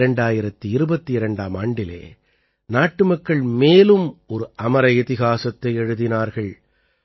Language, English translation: Tamil, In 2022, the countrymen have scripted another chapter of immortal history